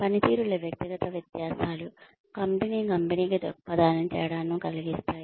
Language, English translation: Telugu, Individual differences in performance, can make a difference to the company of, to the company perspective